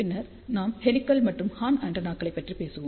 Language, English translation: Tamil, Then we will talk about helical and horn antennas